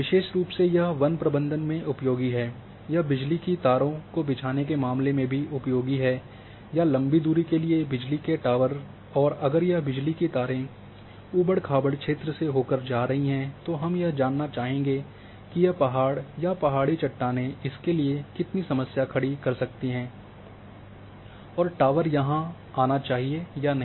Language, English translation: Hindi, Especially it is useful in a forest management, it is also useful in case of a laying you know power lines or power towers for long distances, if it is power lines are going through undulated train terrain then one would like to know that a were this a mountain or hill rocks will create the problem and where exactly the tower should come and node